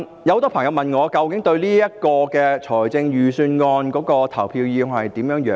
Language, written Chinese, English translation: Cantonese, 很多朋友問我對預算案的投票意向為何。, Many friends have asked me how I am going to vote on the Budget